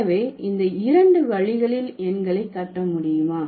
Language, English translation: Tamil, So, what are these two ways by which the numbers can be constructed